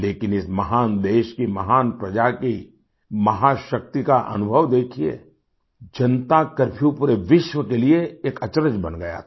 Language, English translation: Hindi, Just have a look at the experience of the might of the great Praja, people of this great country…Janata Curfew had become a bewilderment to the entire world